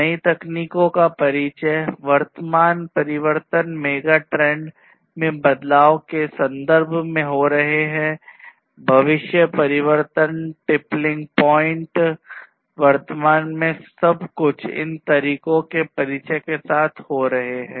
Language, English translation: Hindi, Introduction of newer technologies, transformation overall, current transformation in terms of changes in the megatrends that are happening, future transformation the tippling points, everything are happening at present with the introduction of all of these technologies